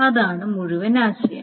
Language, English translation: Malayalam, That is the whole idea